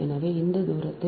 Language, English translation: Tamil, so, from this distance is two point five